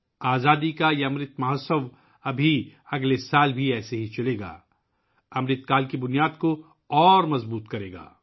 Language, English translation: Urdu, This Azadi Ka Amrit Mahotsav will continue in the same way next year as well it will further strengthen the foundation of Amrit Kaal